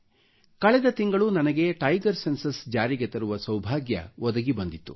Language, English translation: Kannada, Last month I had the privilege of releasing the tiger census in the country